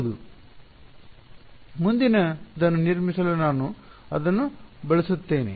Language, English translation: Kannada, Yes, I am using that to built the next thing ok